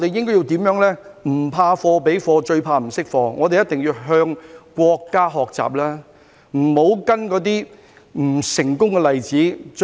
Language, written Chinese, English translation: Cantonese, "不怕貨比貨，最怕不識貨"，我們一定要向國家學習，不要跟隨那些不成功的例子。, As the saying goes one can stand up to comparison but cannot stand bad assessment . We must learn from the country rather than following those unsuccessful examples